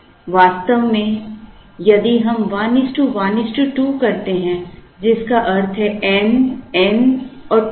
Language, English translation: Hindi, In fact, if we do 1 is to 1 is to 2 which means n, n and 2 n